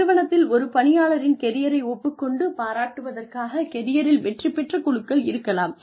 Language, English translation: Tamil, There could be, career success teams, acknowledging and applauding a person's career